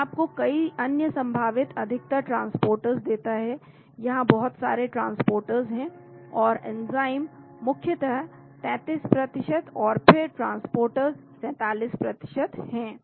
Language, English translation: Hindi, It gives you many other possible, mostly transporters, close to lot of transporters here and enzymes predominantly 33% and then transporters 47%